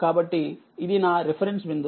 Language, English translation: Telugu, So, this is my reference point